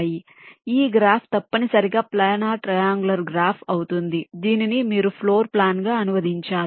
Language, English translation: Telugu, so this graph will essentially be a planer triangular graph, which you have to translate into into a floor plan